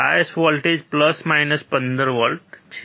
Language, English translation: Gujarati, Bias voltage is plus minus 15 volt